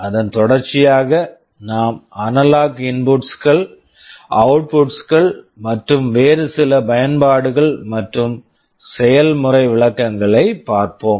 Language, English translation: Tamil, And subsequent to that we shall be looking at the analog inputs, outputs and some other applications and demonstrations